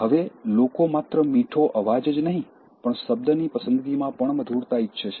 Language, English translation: Gujarati, Now, people not only like sweet voice but also sweetness in word choice